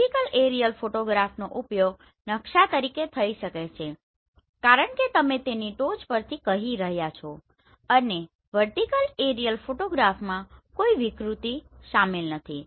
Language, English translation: Gujarati, A vertical aerial photograph can be used as map because you are saying from the top and there is no distortion involve in this vertical aerial photograph